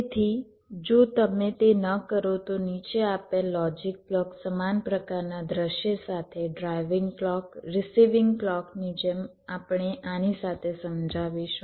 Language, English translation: Gujarati, so if you do not do it, then the following logic block, like a same kind of scenario: driving clock, receiving clock